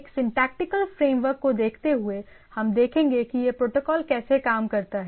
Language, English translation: Hindi, So, given a syntactical framework how this my how this protocol still works